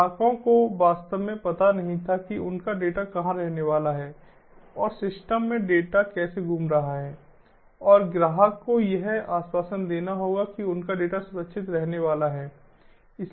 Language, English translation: Hindi, customers did not know really that where their data is going to reside, how the data is going to flow around in the system and that has to be assured to the customer that their data is going to be safe